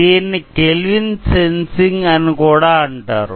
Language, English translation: Telugu, It is also called as Kelvin sensing